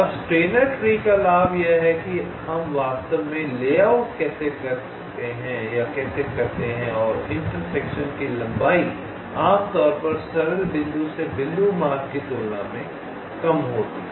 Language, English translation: Hindi, ok, now, the advantage of steiner tree is that this is how we actually do the layout and the interconnection length is typically less as compare to simple point to point routing